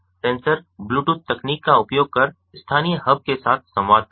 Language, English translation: Hindi, the sensor communicate with the local hub using bluetooth technology